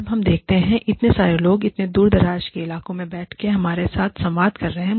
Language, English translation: Hindi, When we see, so many people, sitting in so many far flung areas, communicating with us